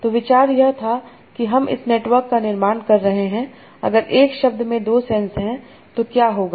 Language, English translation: Hindi, So, idea was that suppose I am considering this network, if a word has two senses, what will happen